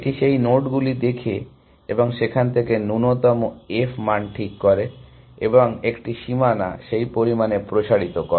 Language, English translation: Bengali, It looks at those nodes and fix the minimum f value from there, and extends a boundary by that much amount essentially